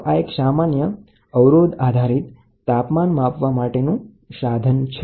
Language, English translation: Gujarati, So, this is nothing but resistance based temperature measuring device